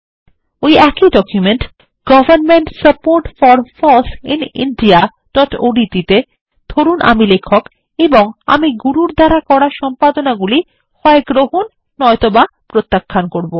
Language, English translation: Bengali, In the same document, Government support for FOSS in India.odt, lets assume I am the author and will accept or reject the edits made by Guru